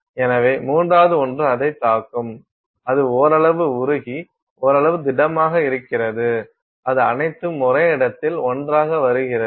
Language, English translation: Tamil, So, the third one hits it so, there is it is partially molten, partially solid and it is all coming together in one place